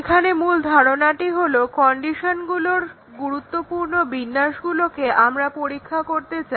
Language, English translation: Bengali, Here the main idea is that we want to test the important combinations of conditions